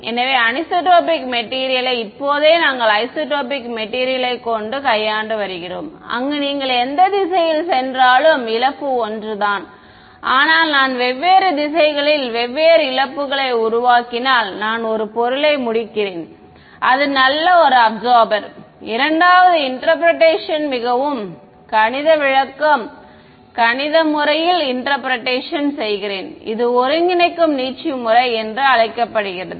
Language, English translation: Tamil, So, anisotropic material right now we have only been dealing with isotropic material where whichever direction you go the loss is the same, but it turns out that if I create different losses in different directions I am beginning I end up with a material that is a very good absorber the second interpretation is a more mathematical interpretation which is called the coordinate stretching method